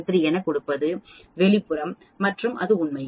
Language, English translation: Tamil, 3173 that is the outside and so on actually